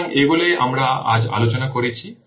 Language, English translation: Bengali, So these are the things that we have discussed on today